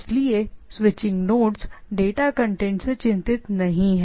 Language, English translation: Hindi, So, switching nodes do not concerned with the content of the data